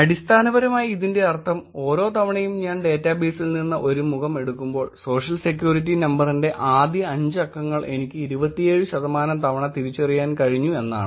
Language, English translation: Malayalam, So essentially what is this means, this means that every time I took up a face from the database, I was able to identify the first 5 digits of the Social Security Number, 27 percent of the times